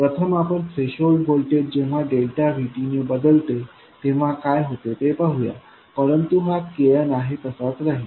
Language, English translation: Marathi, First, let's look at what happens when the threshold voltage changes by delta VT, but KN remains as it was